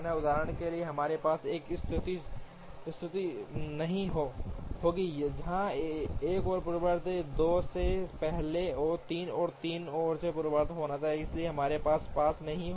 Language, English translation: Hindi, For example, we will not have a situation, where one has to precede 2 two has to precede 3 and 3 has to precede one, so we will not have that